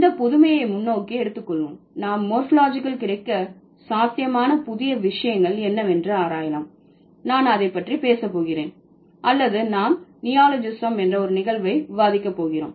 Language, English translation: Tamil, Taking this newness forward or trying to understand what are the or trying to explore what are the possible new things available in morphology I'm going to talk about or we are going to discuss a phenomenon called neologism